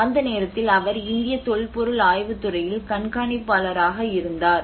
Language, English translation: Tamil, That time he was a superintending archaeologist in the Archaeological Survey of India